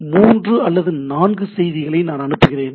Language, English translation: Tamil, So, three, four fields I send the things